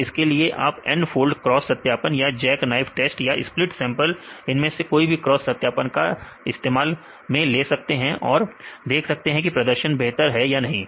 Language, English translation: Hindi, So, N fold cross validation or jack knife test, other say split sampling we could any cross validations methods and see whether its perform better or not